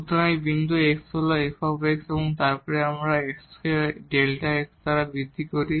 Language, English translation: Bengali, So, this point is x into f x and then we make an increment in x by delta x